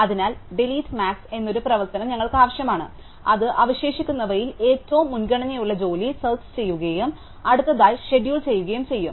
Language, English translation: Malayalam, Therefore, we need an operation called delete max which will search for the highest priority job among those that are pending and schedule it next